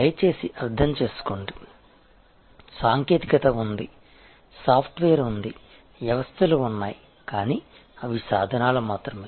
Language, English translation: Telugu, Please understand, that the technology is there, the software is there, the systems are there, but they are only tools